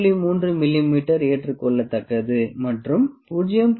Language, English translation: Tamil, 3 mm is acceptable and 0